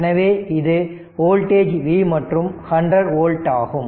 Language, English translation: Tamil, So, your voltage is V right and this is 100 volt